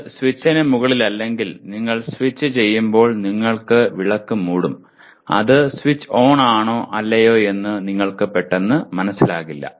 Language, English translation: Malayalam, If it is not above the switch, obviously when you are switching on you will be covering the lamp and you would not immediately know whether it is switched on or not